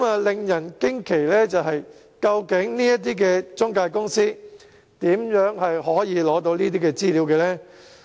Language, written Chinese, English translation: Cantonese, 令人驚奇的是，究竟這些中介公司如何獲取這些資料呢？, It was so shocking . How did these intermediaries obtain such information?